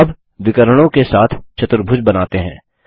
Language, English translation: Hindi, Let us now construct a Quadrilateral with diagonals